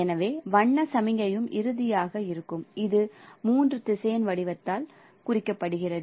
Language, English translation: Tamil, So color signal would be also finally represented by a three vector form